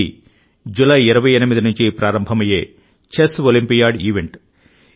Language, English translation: Telugu, This is the event of Chess Olympiad beginning from the 28th July